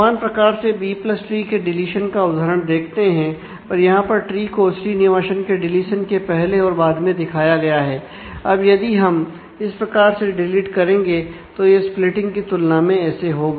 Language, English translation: Hindi, Similarly, examples of deletion in B + tree; so the trees are shown before and after deletion of Srinivasan, then if we delete like that; now in case of in contrast to splitting